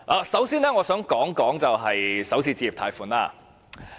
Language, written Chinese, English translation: Cantonese, 首先，我想談談首次置業貸款。, First I would like to talk about Starter Homes